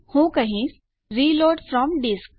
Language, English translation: Gujarati, Ill say reload from disk